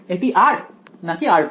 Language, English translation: Bengali, Is it r or r prime